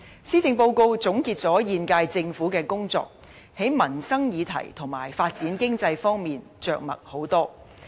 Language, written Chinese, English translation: Cantonese, 施政報告總結了現屆政府的工作，在民生議題和發展經濟方面着墨很多。, The Policy Address recaps the work of the current Government and devotes much treatment to livelihood issues and economic development